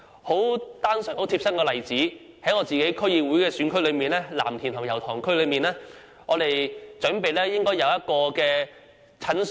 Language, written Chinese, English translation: Cantonese, 很貼身的例子是在我的區議會選區藍田和油塘區內，我們要求興建一間診所。, For example in a case that I am personally involved in we request to build a clinic in Lam Tin and Yau Tong my District Council constituencies